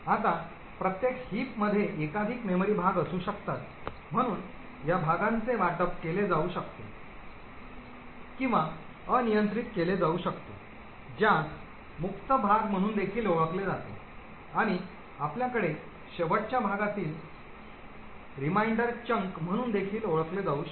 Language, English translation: Marathi, Now each heap can have multiple memory chunks, so these chunks could be allocated or unallocated which is also known as of free chunk and you could also have something known as a top chunk for a last remainder chunk